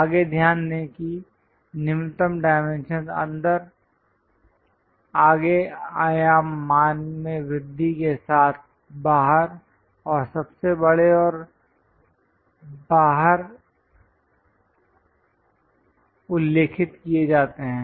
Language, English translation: Hindi, Further note that, the lowest dimension mentioned inside further increase in dimension value outside and further outside the largest one